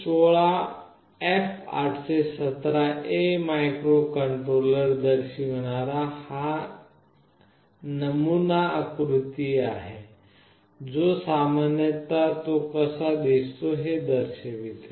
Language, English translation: Marathi, This is a sample diagram showing PIC 16F877A microcontroller this is how it typically looks like